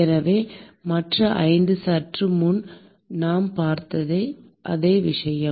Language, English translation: Tamil, So, the other 5 are the same thing what we saw a short while ago